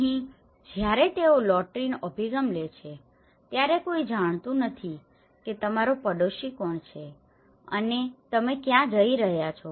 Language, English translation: Gujarati, Here, when they have taken a lottery approaches no one knows who is your neighbour and where you are going